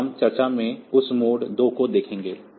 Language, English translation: Hindi, So, we will see that in mode 2 discussion